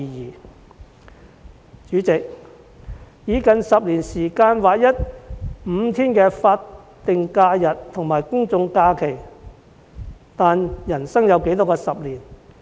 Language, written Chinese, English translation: Cantonese, 代理主席，當局以近10年時間劃一5天的法定假日和公眾假期，但人生有多少個10年？, Deputy President the authorities take almost a decade to align SHs with GHs by increasing five days of holidays . But how many decades can a man live to see?